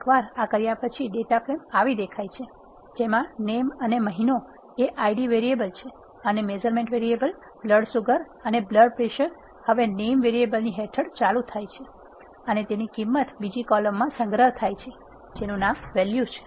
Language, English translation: Gujarati, Once you do this initial data frame will become like this, what it has done is, since this name and month or given as Id variables, there as it is and measurement variables BS and BP are now start under a column by name variable, as you can see here and the values of them are stored in another column, which is named as value